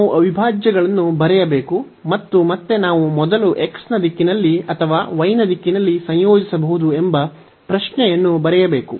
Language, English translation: Kannada, So, we have to write the integrals and again the question that we either we can integrate first in the direction of x or in the direction of y